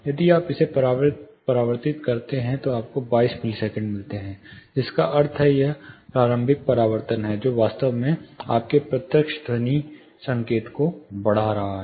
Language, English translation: Hindi, If you convert it you get 22 milliseconds, which mean it is early reflection, which is actually enhancing your direct sound signal